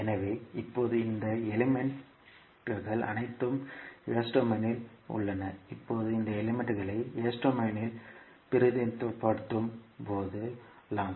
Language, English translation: Tamil, So now we have all these elements in s domain we can represent this circuit in s domain now